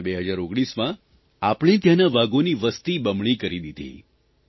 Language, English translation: Gujarati, We doubled our tiger numbers in 2019 itself